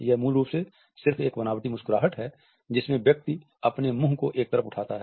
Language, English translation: Hindi, It is basically just a smirk, when someone raises one side of their mouth up